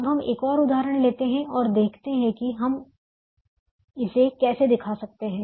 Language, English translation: Hindi, now let us take another example: in c, see how we can show this